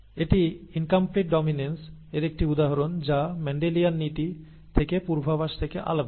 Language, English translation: Bengali, This is an example of incomplete dominance which is different from that predicted from Mendelian principles